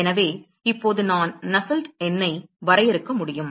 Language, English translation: Tamil, So, now, I can define Nusselt number